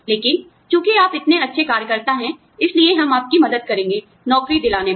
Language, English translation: Hindi, But, since you been such a good worker, we will help you, get placed